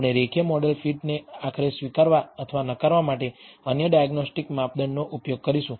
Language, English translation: Gujarati, We will use other diagnostic measure to conclusively accept or reject a linear model fit